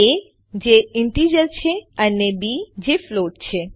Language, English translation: Gujarati, a which is an integer and b which is a float